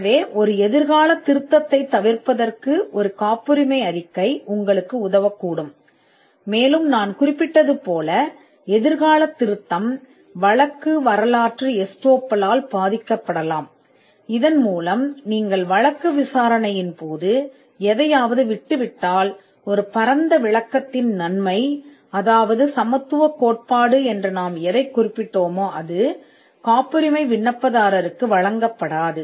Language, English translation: Tamil, So, a patentability report can help you to avoid a future amendment, and a future amendment as I just mentioned could be hit by the prosecution history estoppel, whereby if you give up something during the course of prosecution, the benefit of a broader interpretation which is what was referred to as the doctrine of equivalence will not be extended to the patent applicant